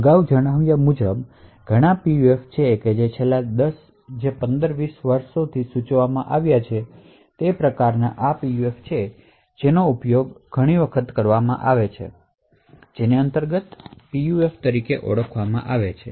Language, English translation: Gujarati, As mentioned before So, there are lots of PUFs which have been proposed in the last 15 to 20 years, types of PUFs which are actually been used quite often these days something known as Intrinsic PUFs